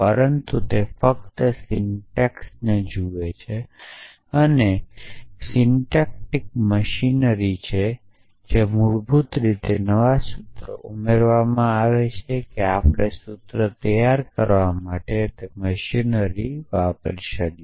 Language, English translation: Gujarati, But it only looks at the syntax, it is a syntactic machinery and basically adds new formulas to that we can sort of bill a machinery to produce the formula